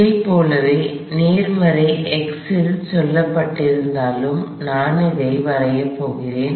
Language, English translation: Tamil, I am going to draw this likewise said in the positive x although it doesn’t matter